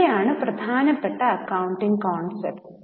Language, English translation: Malayalam, Now these are the important accounting concepts